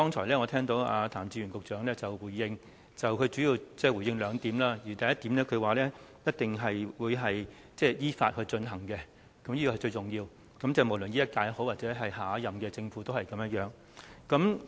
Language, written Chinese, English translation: Cantonese, 我聽罷譚志源局長剛才的回應，他主要回應兩點：首先是一定依法進行，這點是最重要的，無論是現屆或下屆政府都是一樣。, After listening to Secretary Raymond TAMs response just now I can summarize his reply into two major points . First it is of utmost importance to proceed in accordance with both for this Government and the next